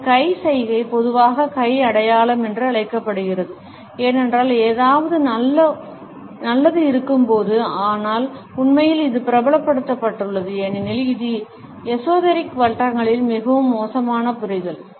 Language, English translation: Tamil, This hand gesture is commonly known as the hand sign, for when something is good, but in reality it has been popularized, because of it is more sinister understanding in esoteric circles